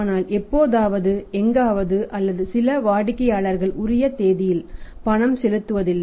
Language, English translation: Tamil, But sometime somewhere or maybe some customers on the due date do not make the payment